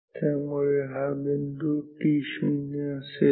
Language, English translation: Marathi, So, this point will be t 2